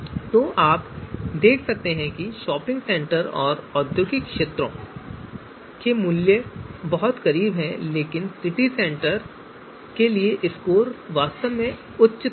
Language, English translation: Hindi, So you can see the values for shopping centre and industrial areas are very close and you know value for score for City Centre is actually on the higher side